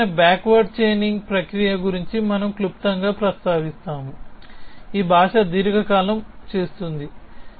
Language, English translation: Telugu, We will also briefly mention as to this kind of backward chaining process is what really this language prolonged does